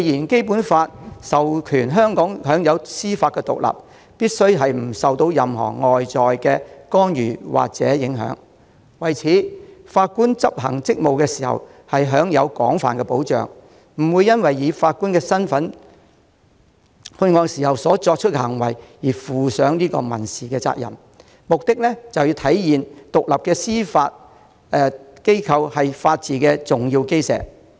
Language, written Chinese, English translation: Cantonese, 《基本法》訂明香港享有司法獨立，必須不受任何外在干預或影響，法官執行職務時亦享有廣泛保障，不會因為以法官身份作出判決而負上民事責任，目的是要體現獨立的司法機構是法治的重要基石。, The Basic Law stipulates that Hong Kong enjoys judicial independence without external interference or influence and a judge also enjoys a large measure of protection against civil liability in respect of acts performed while sitting in that capacity . The purpose is to embody an independent judiciary as an important cornerstone of the rule of law